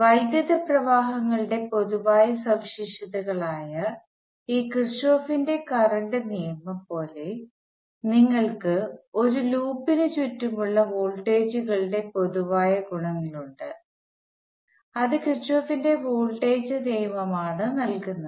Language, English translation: Malayalam, Now just like this Kirchhoff’s current law which is the general properties of currents, we have general properties of voltages around a loop and that is given by Kirchhoff’s voltage law